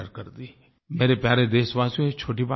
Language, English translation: Hindi, My dear fellow citizens, this is not a small matter